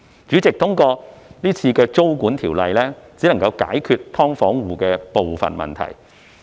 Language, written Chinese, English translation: Cantonese, 主席，這次租管的修例只能解決"劏房戶"的部分問題。, President the current legislative amendment concerning tenancy control can only solve some of the problems faced by SDU households